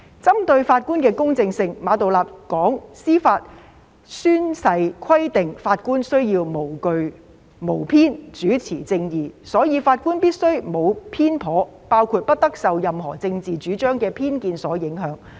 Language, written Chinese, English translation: Cantonese, 針對法官的公正性，馬道立表示，司法誓言規定法官須無懼無偏，主持正義，所以法官必須沒有偏頗，包括不得受任何政治主張的偏見所影響。, Stressing the impartiality of judges Geoffrey MA said that the Judicial Oath requires judges to administer justice without fear or favour and it follows from this that judges must not be biased including in particular not being influenced by any political bias of whatever persuasion